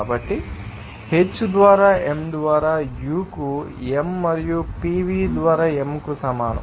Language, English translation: Telugu, So, H by m will be equal to U by m plus PV by m